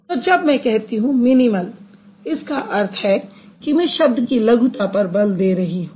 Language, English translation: Hindi, So, when I utter the word minimal, that means I am reiterating it or I am emphasizing on the smallness of the word